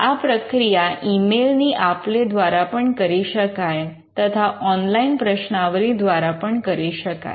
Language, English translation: Gujarati, This could also be through exchange of emails, but our online questionnaire is also possible